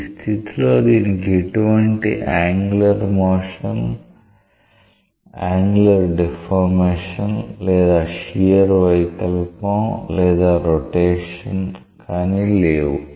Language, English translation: Telugu, This is a case when it does not have any type of angular motion angular deformation neither shear deformation nor rotation